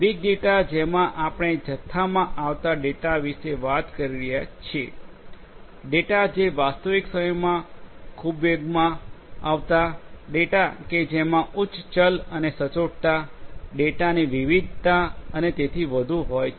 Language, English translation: Gujarati, Big data we are talking about data coming in huge volumes, coming in you know high velocities in real time streams of data; data of which have high variability and veracity, variety of data and so on